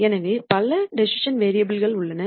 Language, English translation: Tamil, So, there are several decision variables